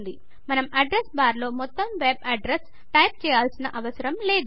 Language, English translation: Telugu, We dont have to type the entire web address in the address bar